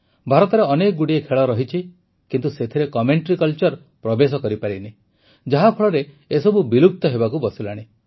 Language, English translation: Odia, Here too, we have many Indian sports, where commentary culture has not permeated yet and due to this they are in a state of near extinction